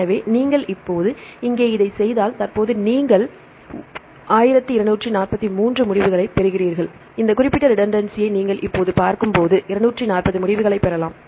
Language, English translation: Tamil, So, you can get that if you do this here now for example, currently you get 1243 results, when you look into this specific redundancy right now we can get 240 results